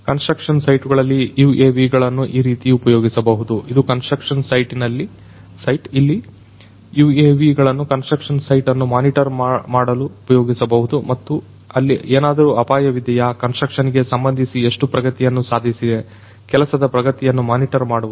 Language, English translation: Kannada, In construction sites UAVs could be used like this; this is a construction site where the UAVs could be used to monitor the construction sites and you know whether there is any hazard, whether there is how much is the progress in terms of construction, monitoring the progress of the work